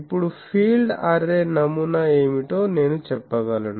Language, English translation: Telugu, Now, can I say that the field array pattern will be what